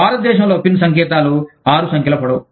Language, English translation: Telugu, In India, the pin codes are, six numbers long